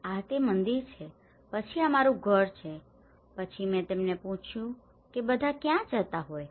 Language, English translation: Gujarati, this is temple then this is my house then I asked them where are all used to go